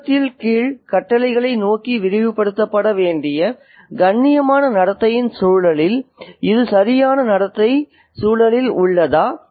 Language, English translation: Tamil, And is this corrective behavior in context, in the context of polite behavior that should be extended towards the lower orders in society